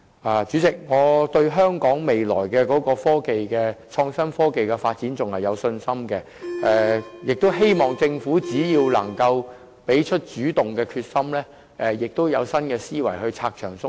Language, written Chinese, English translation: Cantonese, 代理主席，我對香港未來的創新科技發展仍然有信心，亦希望政府能展現主動的決心，並以新思維拆牆鬆綁。, Deputy President I remain confident about our development of innovation and technology in the future and hope the Government can demonstrate its determination to assume an active role and cut red tape with new thinking